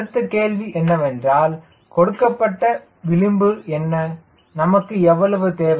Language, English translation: Tamil, and then next question come is: what is the starting margin